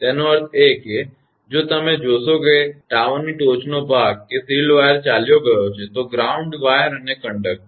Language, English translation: Gujarati, That means, if that the top of the tower if you see the shield wire has gone, the ground wire and the conductor